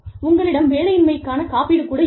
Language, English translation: Tamil, You could also have, unemployment insurance